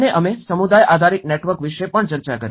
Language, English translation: Gujarati, And we did also discussed about the community based networks